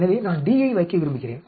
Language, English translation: Tamil, So, I want to put D